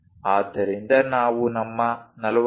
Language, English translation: Kannada, So, this is 45 degrees